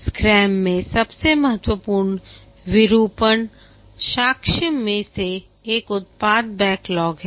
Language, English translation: Hindi, One of the most important artifact in the scrum is the product backlog